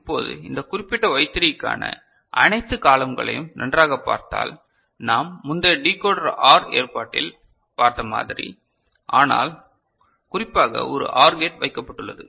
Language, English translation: Tamil, Now, if you look at all the columns put together for this particular Y3, the way we had seen in our earlier Decoder OR arrangement, but specifically a OR gate is put